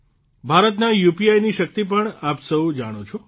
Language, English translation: Gujarati, You also know the power of India's UPI